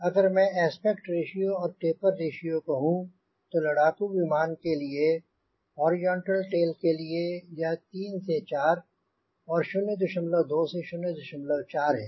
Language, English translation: Hindi, typically if i write aspect ratio and taper ratio, typically for five, ten, it is for horizontal tail, it is three to four and this is point two to point four